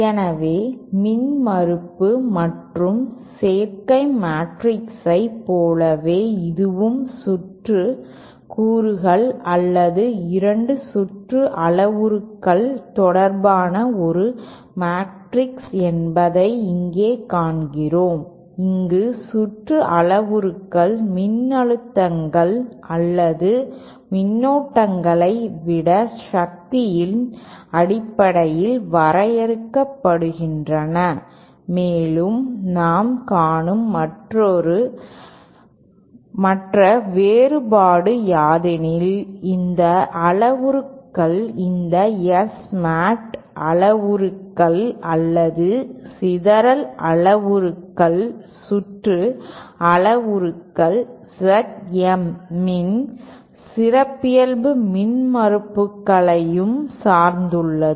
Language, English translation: Tamil, So we see that just like the impedance and admittance matrix this is also a matrix that relates to circuit elements or 2 circuit parameters of course here the circuit parameters are defined in terms of power rather than voltages or currents and the other difference that we will see in a moment is that these parameters, the circuit parameters this S [Mat] parameters or scattering parameters are also dependent on the characteristic impedances Z M